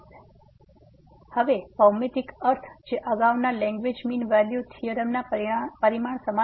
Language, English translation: Gujarati, So, now the geometrical meaning is similar to the earlier result on Lagrange mean value theorem